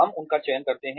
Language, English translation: Hindi, We select them